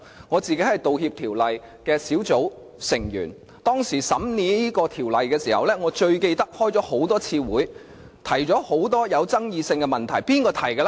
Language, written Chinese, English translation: Cantonese, 我是《道歉條例草案》委員會成員，當審議這項條例時，開了多次會議，有很多具爭議性的問題提出。, I am a member of the Bills Committee on Apology Bill . During the scrutiny of this bill a number of meetings were convened in which many controversial issues were raised